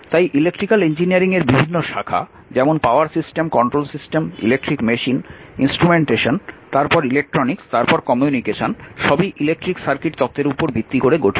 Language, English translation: Bengali, So, several branches in electrical engineering like power system, control system, electric machines, instrumentation, then electronics, then communication, all are based on your electric circuit theory right